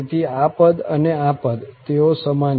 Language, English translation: Gujarati, So, this term and this term they are the same